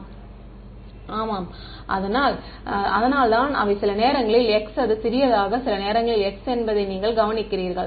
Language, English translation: Tamil, Yeah, that is why you notice that they sometimes it is small x, sometimes it is capital X right